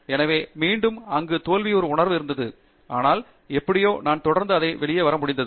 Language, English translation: Tamil, So there again a sense of failing was there, but somehow I was able to come out of it by persisting